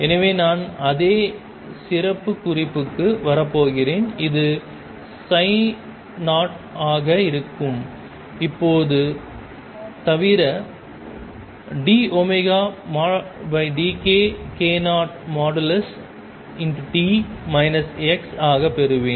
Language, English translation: Tamil, So, I am going to have the same profile come in and this is going to be psi 0 except now I am going to have d omega over d k at k 0 t minus x